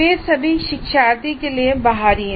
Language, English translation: Hindi, All these are external to the learner